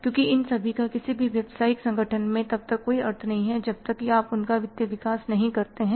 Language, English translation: Hindi, Because you these all things have no meaning in any business organization until and unless you develop the financials for them